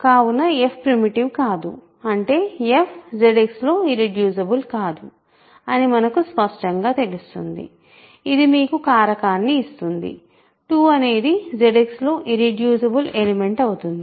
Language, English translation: Telugu, So, f is not primitive that means, we do not get that f is irreducible in Z X because clearly you can see that, this gives you a factorization 2 is an irreducible element in Z X